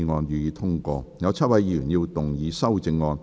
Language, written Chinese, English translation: Cantonese, 有7位議員要動議修正案。, Seven Members will move amendments to this motion